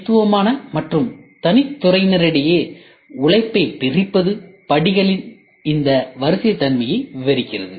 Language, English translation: Tamil, The division of labor among distinct and separate department describes this sequence nature of the step